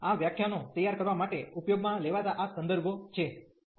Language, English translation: Gujarati, So, these are the references used for preparing these lecturers